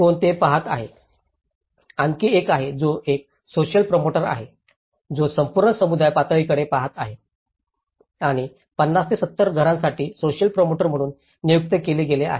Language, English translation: Marathi, There is another which is a social promoter, who is looking at the whole community level and for 50 to 70 households is one of the social promoter has been appointed